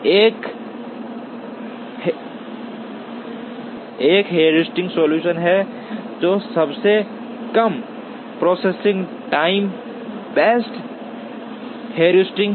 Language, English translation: Hindi, One is a heuristic solution, which is based on shortest processing time based heuristic